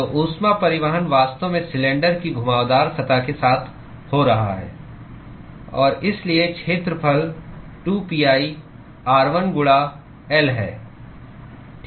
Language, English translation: Hindi, So, the heat transport is actually occurring alng the curved surface of the cylinder and so, the area is 2pi r1 into L